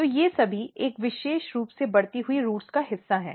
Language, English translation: Hindi, So, all these are part of a particular growing roots